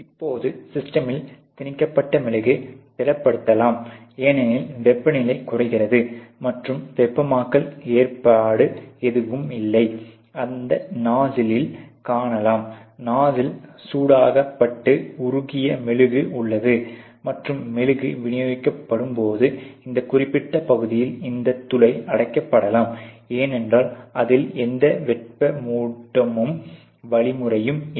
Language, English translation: Tamil, Now the wax feeded into the system can also get, you know lower I mean it can also solidify, because temperature goes down and there is no heating arrangement as such which you can see here towards the tip of this nuzzle; once the nuzzle the actually has the heated up molten wax, and the wax is dispensed there is a tendency that this particular region this orifice here can be clogged, because you know the it does not have any heating mechanism clogged